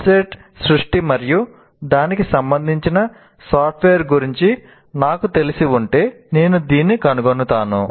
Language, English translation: Telugu, Because if I'm familiar with the subject of website creation and the software related to that, I should be able to find this